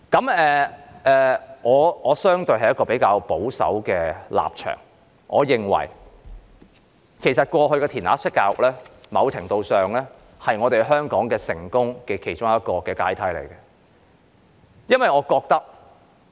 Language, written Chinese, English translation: Cantonese, 我的立場相對保守，我認為過去的"填鴨式"教育在某程度上是香港成功的其中一個階梯。, My stance is relatively conservative and I think that to some extent spoon - fed education in the past was one of the ladders contributing to Hong Kongs success